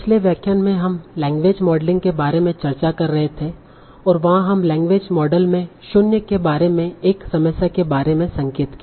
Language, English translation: Hindi, So in the last lecture we were discussing about the basics of language modeling and there we just hinted about one problem about the G Ros in language models